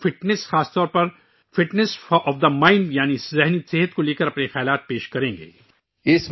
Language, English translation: Urdu, He will share his views regarding Fitness, especially Fitness of the Mind, i